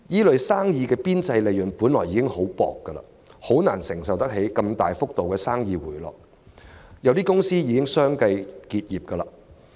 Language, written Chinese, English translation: Cantonese, 這些行業的邊際利潤本已微薄，難以承受生意如此大幅地回落，有些公司已相繼結業。, With narrow profit margins to begin with these industries can hardly withstand such a dramatic drop in business . Some companies have already gone out of business